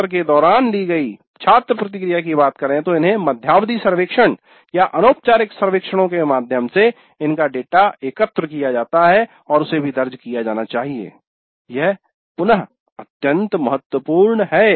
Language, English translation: Hindi, Then student feedback during the session through mid course surveys or through informal surveys that data is collected and that also must be recorded